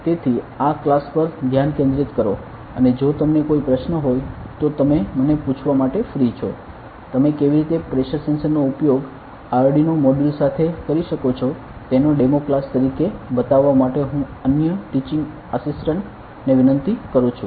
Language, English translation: Gujarati, So, focus on this class and if you any question just you can feel free to ask me, I will just request some other teaching assistant to show it to you how to use pressure sensor with Arduino module as a demo class right